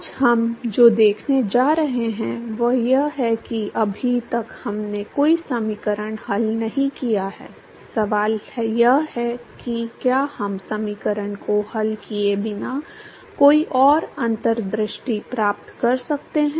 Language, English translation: Hindi, What we are going to see today is so, so far we have not solved any equation, the question is can we get any further insights without solving the equation